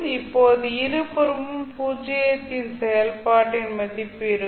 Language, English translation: Tamil, Now you have value of function at zero at both sides, those both will cancel out